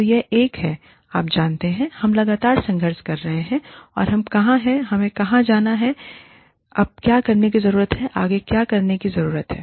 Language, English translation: Hindi, So, this is a, you know, we are constantly struggling with, where we are, where we need to go, what needs to be done now, what needs to be done next